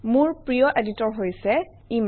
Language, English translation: Assamese, My favorite editor is Emacs